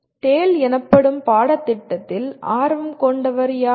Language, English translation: Tamil, Who is, who will have interest in the course called TALE